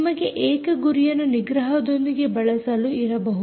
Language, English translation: Kannada, you can have single target with suppression